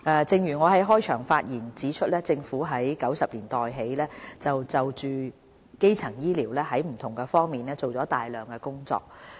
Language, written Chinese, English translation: Cantonese, 正如我在開場發言中指出，政府自1990年代起就基層醫療在不同方面做了大量的工作。, As I have said in the opening speech the Government has done a great deal in various aspects for the promotion of primary health care since 1990